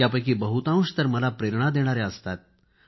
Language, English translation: Marathi, Most of these are inspiring to me